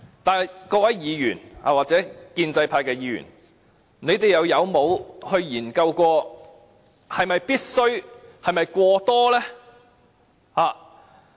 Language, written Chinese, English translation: Cantonese, 但是，各位議員，或者建制派議員，你們曾否研究這是否必須，是否過多呢？, But Honourable Members or pro - establishment Members have you ever considered if there is such a need and whether the amount requested is excessive?